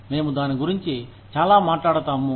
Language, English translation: Telugu, We talk about it, a lot